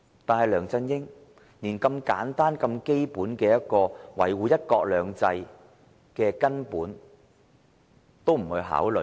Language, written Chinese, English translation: Cantonese, 可是，梁振英連這個如此簡單和基本、一個維護"一國兩制"的根本也未有考慮。, However LEUNG Chun - ying has failed to give regard to this simple and fundamental premise in upholding one country two systems